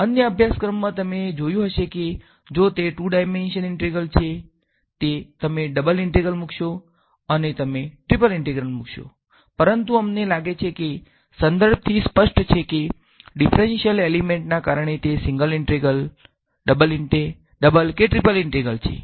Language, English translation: Gujarati, In other courses, you may have seen that if it is a two dimensional integration; you will be putting a double integral and you will be putting a triple integral, but we find that from the context it is clear whether it is a single integral double or triple integral because of the differential element ok